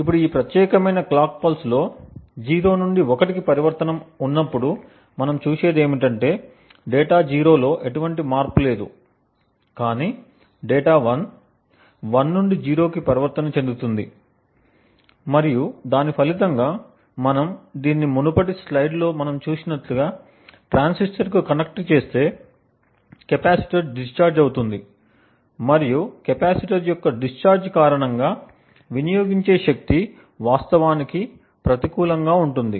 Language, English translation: Telugu, Now in this particular clock pulse when there is a transition from 0 to 1 in this particular clock pulse what we see is that there is no change in data 0 but data 1 transitions from 1 to 0 and as a result if we connect this to the transistors what we have seen in the previous slide, the capacitor would be discharged and the power consumed would be actually negative because of the discharging of the capacitor